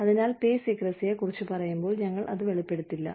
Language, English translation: Malayalam, So, when we talk about, pay secrecy, we say, we will not disclose it